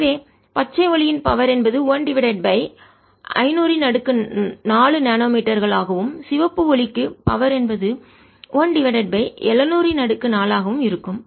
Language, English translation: Tamil, raise to four, and therefore power for green light is going to be one over five hundred nanometers raise to four, and power for red light is going to be one over seven hundred raise to four